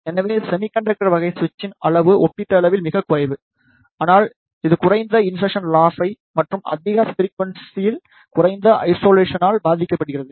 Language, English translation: Tamil, So, the size of the semiconductor type switch is relatively very less, but this suffers from the low insertion loss and low isolation at higher frequencies